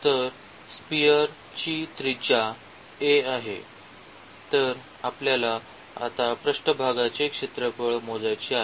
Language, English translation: Marathi, So, the radius of the a sphere is a; so, we want to compute the surface area now